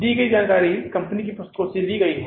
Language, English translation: Hindi, The information as given is drawn from the books of the company